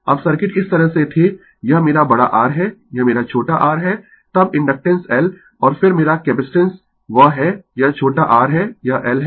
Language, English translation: Hindi, Now, circuit were like this, this is my capital R this is my small r then inductance L right, and then my capacitance is that this is small r this is L